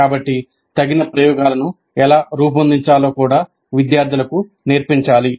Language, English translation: Telugu, And the students must be trained to design suitable experiments when required to